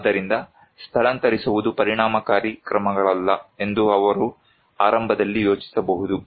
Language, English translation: Kannada, So, he may think initially that evacuation is not an effective measure